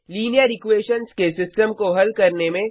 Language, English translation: Hindi, Solve the system of linear equations